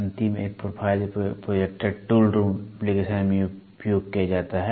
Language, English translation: Hindi, The last one is profile projector is used in tool makers in tool room or in tool room application